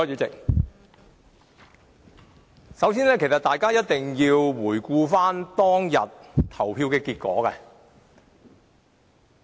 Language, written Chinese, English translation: Cantonese, 首先，大家一定要回顧當天的表決結果。, First of all we have to look back at the voting result on that day